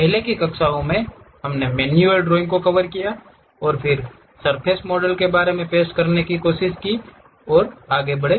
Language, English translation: Hindi, In the earlier classes, we have covered manual drawing, and also then went ahead try to introduce about surface modeling